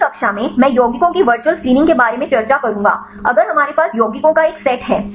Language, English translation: Hindi, In the next class I will discuss about the virtual screening of compounds right, if we have a set of compounds